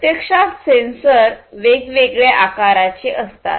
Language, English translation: Marathi, Actually, the sensors basically they come in different shapes and sizes